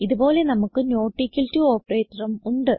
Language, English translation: Malayalam, Similarly, we have the not equal to operator